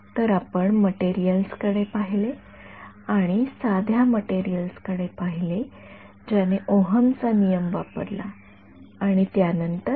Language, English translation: Marathi, So, we looked at materials, we looked at simple materials which used Ohm’s law right and after that